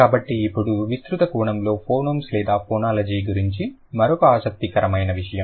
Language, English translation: Telugu, So, now another interesting thing about phonyms or phonology in a broader sense